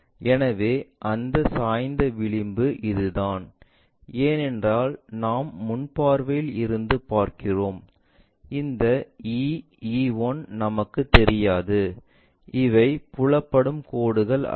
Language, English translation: Tamil, So, that slant edge is this one, because we are looking from front view, we do not know this E E 1 do not know in the sense these are not visible lines